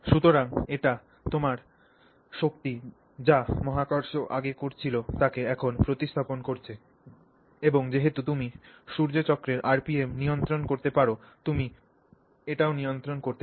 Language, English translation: Bengali, So, that is your force which is now substituting what gravity was previously doing and therefore since you can control the RPM of the Sunveen you can control that